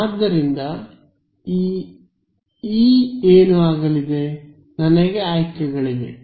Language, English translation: Kannada, So, E is going to be what choices do I have